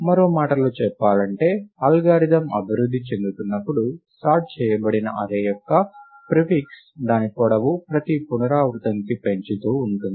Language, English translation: Telugu, In other words, as the algorithm progresses, the prefix of the array which is sorted, its length keep increasing, iteration by iteration